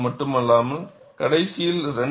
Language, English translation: Tamil, Not only this, during the last 2